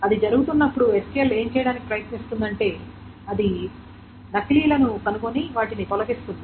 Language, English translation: Telugu, When that is being done, what it essentially tries to do is it finds out the duplicates and eliminates them